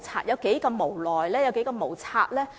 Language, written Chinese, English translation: Cantonese, 政府有多無奈、多無策呢？, How tied the Governments hands are?